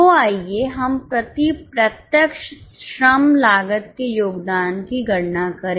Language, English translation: Hindi, So, let us calculate the contribution per direct labor cost